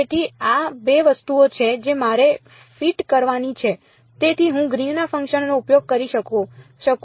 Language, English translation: Gujarati, So, these are the 2 things I have to sort of fit in, so, that I can use Green's function